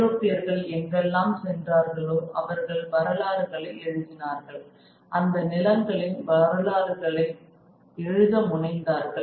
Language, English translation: Tamil, The Europeans wherever they went they wrote the histories, tried to write the histories of these lands